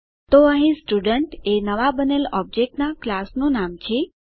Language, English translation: Gujarati, So here Student is the name of the class of the new object created